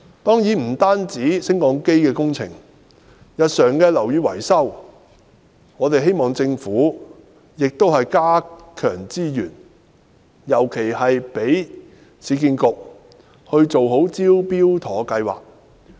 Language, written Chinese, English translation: Cantonese, 當然，不單是升降機工程，就是日常樓宇維修，我們也希望政府加強資源，尤其是讓市區重建局做好"招標妥"計劃。, Of course in addition to lifts - related works we also hope that the Government will allocate more resources to routine building maintenance particularly facilitating the Smart Tender scheme the scheme implemented by the Urban Renewal Authority URA